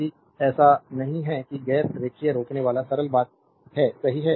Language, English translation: Hindi, If it is not that is non linear resistor simple thing, right